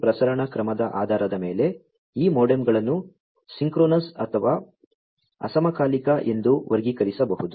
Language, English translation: Kannada, On the basis of the transmission mode, these modems can be classified as synchronous or asynchronous